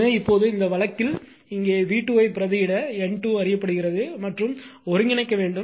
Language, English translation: Tamil, So now, in this case v 2 you substitute here N 2 is known and you have to integrate